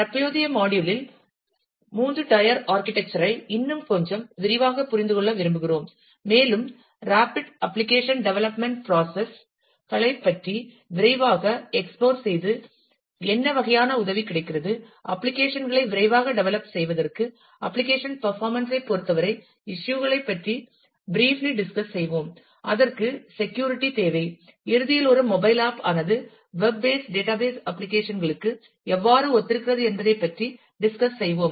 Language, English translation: Tamil, In the current module, we would like to understand the 3 tier architecture in little bit more detail, and explore quickly take a look into the rapid application development processes what kind of help is available, for quickly develop applications and then, we briefly we will look into the issues in terms of an applications performance and it is required security, and at the end we will discuss how a mobile app is similar to such web based database applications